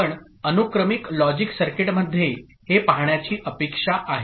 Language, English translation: Marathi, This is what you are expected to see in a sequential logic circuit